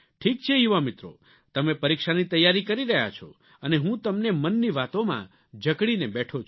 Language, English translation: Gujarati, Anyway, young friends, you are engrossed in preparing for your exams and here I am, engaging you in matters close to my heart